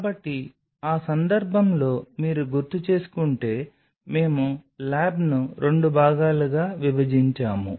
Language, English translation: Telugu, So, in that context if you recollect we divided the lab into 2 parts right